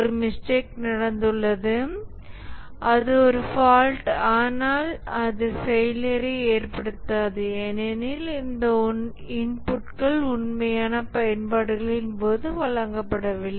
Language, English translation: Tamil, There was a mistake committed and that is a fault, but then that does not cause failure because those inputs are not given during the actual uses